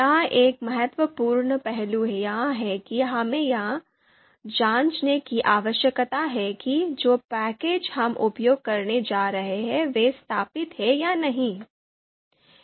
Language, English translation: Hindi, So one important aspect here is that we need to check whether the packages that we are going to use whether they are installed or not